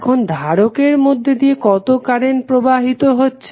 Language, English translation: Bengali, Now, next is what is the current flowing in the capacitor